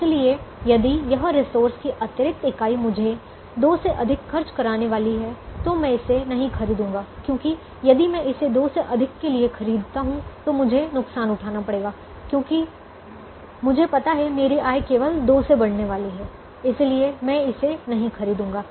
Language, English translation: Hindi, so if this resource is going to the extra unit is going to cost me more than two, then i will not buy it, because if i buy it for more than two, my revenue is only going to increase by two